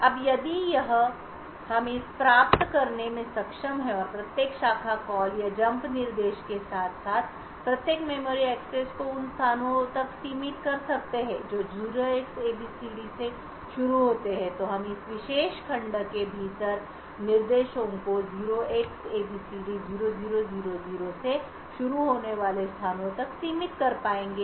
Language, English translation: Hindi, Now if we are able to achieve this and restrict every branch call or a jump instruction as well as restrict every memory access to locations which start with 0Xabcd then we will be able to confine the instructions within this particular segment to the locations starting from 0Xabcd0000 and extending up to 64 kilobytes from this address